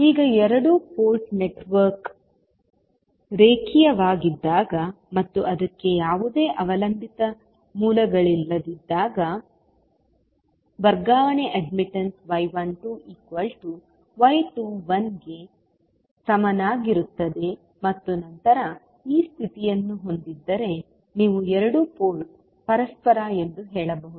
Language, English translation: Kannada, Now, when the two port network is linear and it has no dependent sources, the transfer admittance will be equal to y 12 is equal to y 21 and then if this condition holds, you can say that two port is reciprocal